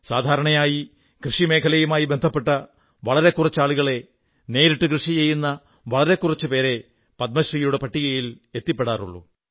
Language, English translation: Malayalam, Generally, very few people associated with the agricultural world or those very few who can be labeled as real farmers have ever found their name in the list of Padmashree awards